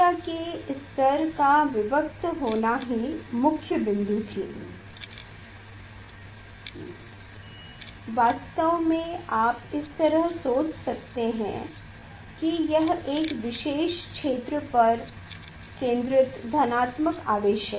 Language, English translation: Hindi, that this main point was the discreteness of energy levels actually you can think of like this is the positive charge concentrated at a particular regions